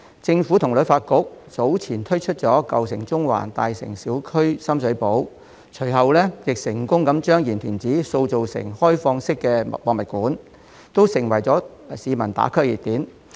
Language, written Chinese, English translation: Cantonese, 政府和旅發局早前推出"舊城中環"，"香港.大城小區—深水埗"項目，隨後亦成功把鹽田梓塑造成開放式的博物館，這些均成為市民"打卡"的熱點。, The Government and HKTB launched earlier the Old Town Central and the Hong Kong Neighbourhoods―Sham Shui Po programmes and later successfully turned Yim Tin Tsai into an open museum . These have become popular places for people to check in on social media